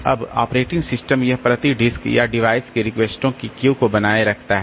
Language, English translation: Hindi, Now, operating system, it maintains a queue of requests per disk or device